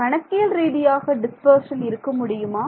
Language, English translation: Tamil, Can there be dispersion numerically